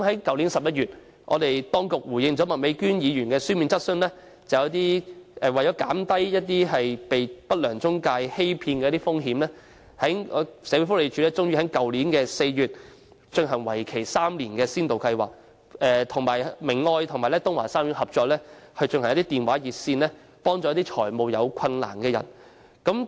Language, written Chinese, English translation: Cantonese, 去年11月，當局回應麥美娟議員的書面質詢時表示，為了減低有需要人士被不良中介欺騙的風險，社會福利署終於在去年4月推行為期3年的先導計劃，與明愛和東華三院合作，設立電話熱線，為有財務困難的人提供協助。, In November last year in response to Ms Alice MAKs written question the authorities indicated that to reduce the risk of people in need being deceived by unscrupulous intermediaries the Social Welfare Department finally launched a three - year pilot scheme in collaboration with Caritas and the Tung Wah Group of Hospitals in April last year setting up a hotline to provide assistance to people with financial difficulties